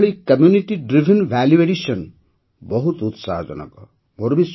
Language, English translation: Odia, This type of Community Driven Value addition is very exciting